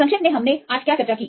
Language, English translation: Hindi, Summarizing what did we discussed today